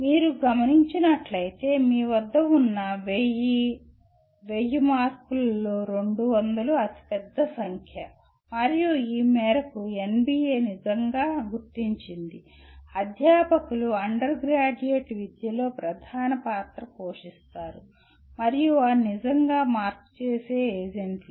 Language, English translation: Telugu, If you look at, 200 is the largest number out of the 1000, 1000 marks that you have and to this extent NBA recognizes truly the faculty are the main players in undergraduate education and they are the truly change agents